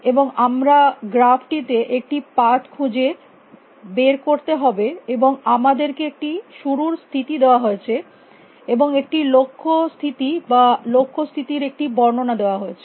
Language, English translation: Bengali, And we have to find a path in that graph we have given start state, and we are given either a goal state or the description of goal state